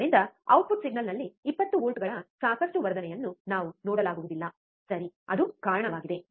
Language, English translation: Kannada, So, we cannot see enough amplification of 20 volts at the output signal, alright so, that is the reason